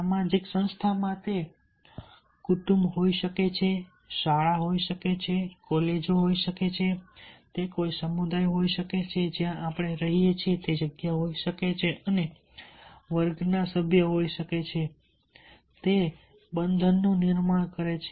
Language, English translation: Gujarati, it may be a family, it may be the school, it may be the colleges, it may be the community where we live and the members of the class and show up